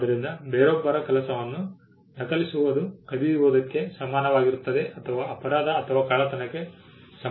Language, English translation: Kannada, So, copying somebody else’s work was equated to stealing or equated to the crime or theft